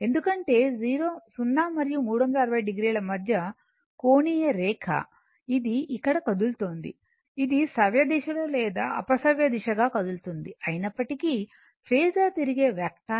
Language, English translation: Telugu, Because angular line between 0 and a 360 degree so, and it is moving your either here we are taking anticlockwise either clockwise or anticlockwise what isoever the phasor is a rotating vector right